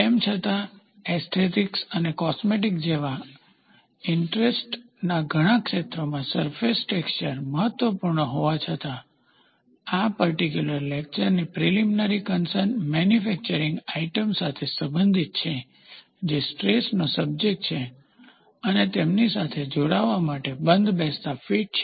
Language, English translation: Gujarati, Even though, surface is important in many fields of interest such as aesthetic and cosmetic, amongst others, the primary concern in this particular lecture pertains to manufacturing items that are subjected to stress, move in relation to one another, and have a close fits of joining them